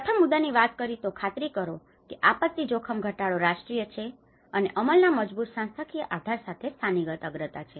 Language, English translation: Gujarati, The first point talks about ensure that disaster risk reduction is a national and the local priority with a strong institutional basis for implementation